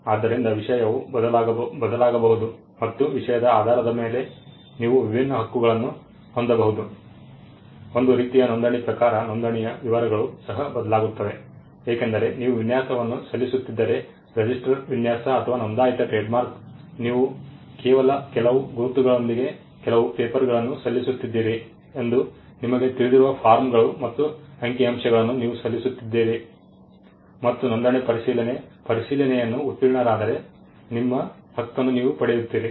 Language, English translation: Kannada, So, subject matter can vary and depending on the subject matter you can have different rights, kind type of registration the details of registration also varies because if you are filing a design a register design or a registered trademark; you are just filing forms and figures you know you are just filing some papers with some marks in it and the registry does a check and the registry if the check is cleared then you get your right